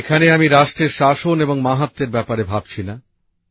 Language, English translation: Bengali, " Here I am not thinking about the supremacy and prominence of nations